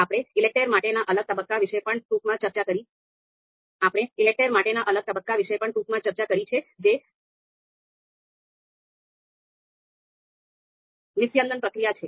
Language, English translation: Gujarati, Then we also briefly discussed about the the the next phase for ELECTRE that is distillation procedure